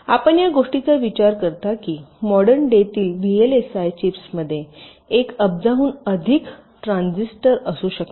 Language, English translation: Marathi, you think of the fact that modern day vlsi chips can contain more than a billion transistors